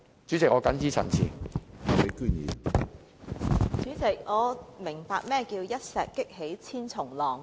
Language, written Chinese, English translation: Cantonese, 主席，我終於明白何謂一石激起千重浪。, Chairman I finally understand how one stone can whip up thousand waves